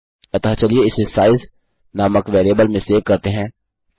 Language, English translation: Hindi, So lets save that in a variable called size